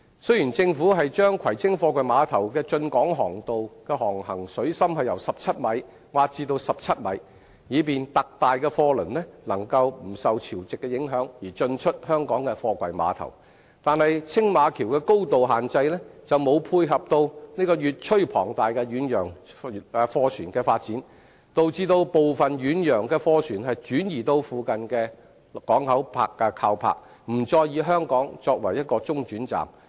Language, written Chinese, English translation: Cantonese, 雖然政府把葵青貨櫃碼頭的進港航道的航行水深由15米挖至17米，以便特大的貨櫃輪能夠不受潮汐的影響而進出香港的貨櫃碼頭，但青馬橋的高度限制卻沒有配合越趨龐大的遠洋貨船的發展，導致部分遠洋的貨船轉移至附近的港口靠泊，不再以香港作為中轉站。, Although the Government has dredged the basin of the Kwai Tsing container terminals and its approach channels to increase the present navigable depth from 15 m to 17 m to meet the draught requirements of ultra - large container ships at all tides the height limit of the Tsing Ma Bridge cannot cater for the trend of increasingly huge ocean vessels causing some ocean vessels to relocate to nearby ports instead of using Hong Kong as a transit point